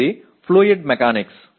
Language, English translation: Telugu, This is fluid mechanics